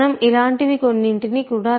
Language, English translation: Telugu, We might even write something like this